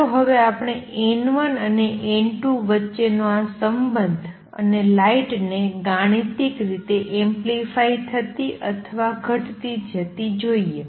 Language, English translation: Gujarati, Let us now see this relationship between N 1 and N 2 and light getting amplified or diminished mathematically